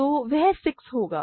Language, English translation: Hindi, So, that will be 6